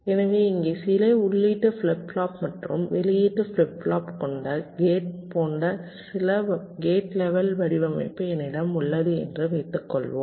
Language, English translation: Tamil, so here, suppose i have a gate level design like this: some gates with some input flip flops and output flip flop